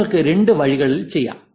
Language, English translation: Malayalam, You could do both ways